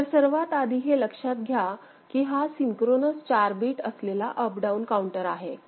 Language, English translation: Marathi, So, first of all it is a synchronous 4 bit up down counter